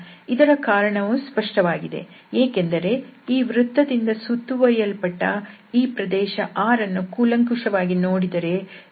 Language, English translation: Kannada, The reason is obvious because if you consider again this R which is bounded by this circle, and if we take a close look here it is written that x square plus y square is greater than 0